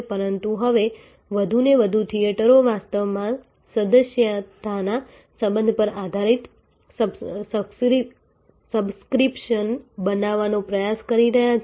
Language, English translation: Gujarati, But, now more and more theaters are actually trying to create a subscription based a membership relation